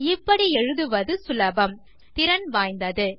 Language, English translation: Tamil, It is easier to write and much more efficient